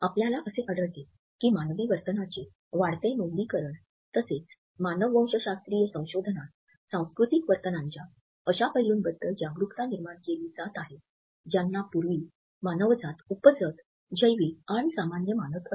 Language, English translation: Marathi, We find that increasing documentation of human behavior as well as anthropological researches are creating awareness about those aspects of cultural behaviors which were previously considered to be instinctive, biological and common in humanity